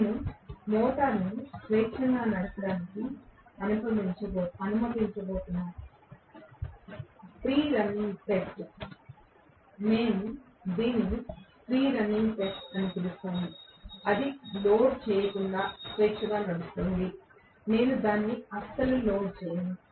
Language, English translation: Telugu, We are just going to allow the motor to run freely, free running test, we call it as free running it is running freely without being loaded, I am not going to load it at all